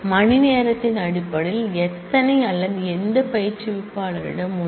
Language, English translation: Tamil, How many based on hours or which instructor has